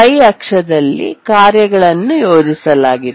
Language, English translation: Kannada, On the y axis we have plotted the tasks